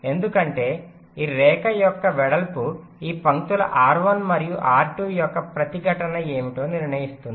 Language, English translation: Telugu, because width of this line will determine what will be the resistance of this lines r one and r two, right